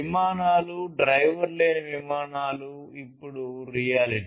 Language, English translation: Telugu, Aircrafts, driver less aircrafts are a reality now